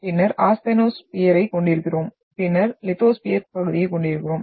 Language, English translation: Tamil, Then we are having asthenosphere and then we are having the lithosphere part